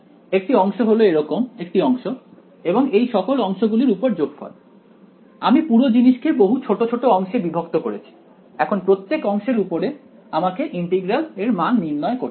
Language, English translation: Bengali, A segment means a segment like this and some over all such segments I have broken up the whole thing into several segments, I have to evaluate this integral over each segment